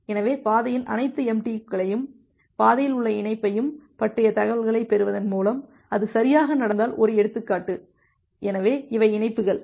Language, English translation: Tamil, So, by getting the information about all the MTUs of the path, of the link in the path so, as an example if it happens that well, so, these are the links